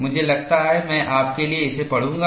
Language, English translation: Hindi, I think, I would read this for you